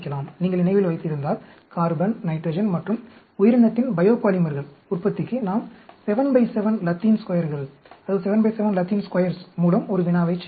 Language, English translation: Tamil, If you remember, we did a problem, carbon, nitrogen and organism, for the production of biopolymers, 7 by 7 Latin Squares